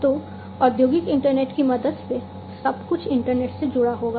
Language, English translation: Hindi, So, with the help of the industrial internet everything will be connected to the internet